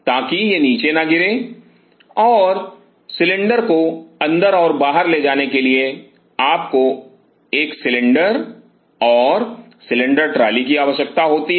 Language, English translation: Hindi, So, that it does not fall down, and you needed to have a cylinder and cylinder trolley to carry the cylinders inside and outside